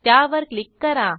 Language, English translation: Marathi, Click on the link